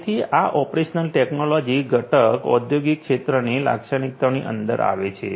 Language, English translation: Gujarati, So, this operational technology component comes characteristic of industrial sector